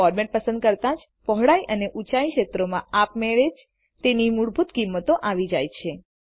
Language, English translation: Gujarati, When you select the format, the Width and Height fields are automatically filled with the default values